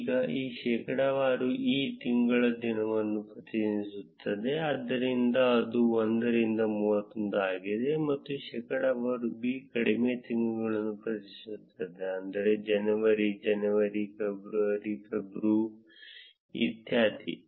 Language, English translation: Kannada, Now here percentage e represents the day of the month, so that is 1 through 31; and percentage b represents the short months like January would be jan, February would be feb and so on